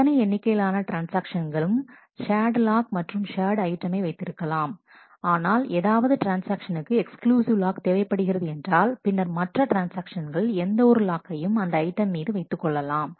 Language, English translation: Tamil, And any number of transactions certainly can hold the shared lock and an item, but if any transaction wants to have an exclusive lock on the item, then no other transaction may hold any lock on that item